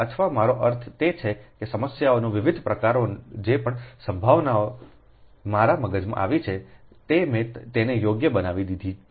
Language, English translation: Gujarati, for that, whatever, whatever possibility problems have come to my mind, i have made it right